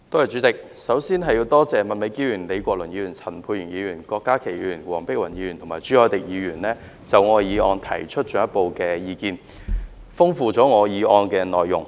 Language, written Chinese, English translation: Cantonese, 主席，我首先感謝麥美娟議員、李國麟議員、陳沛然議員、郭家麒議員、黃碧雲議員及朱凱廸議員就我的原議案提出進一步的意見，豐富了我議案的內容。, President first of all I would like to thank Ms Alice MAK Prof Joseph LEE Dr Pierre CHAN Dr KWOK Ka - ki Dr Helena WONG and Mr CHU Hoi - dick for their further views on my original motion which have enriched the contents of my motion